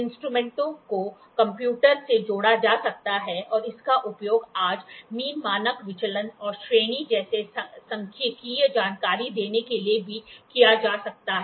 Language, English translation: Hindi, The instruments can be connected to a computer and this can also be used for the gives statistical information like mean standard deviation and range today